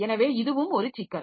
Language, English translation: Tamil, So, that becomes a process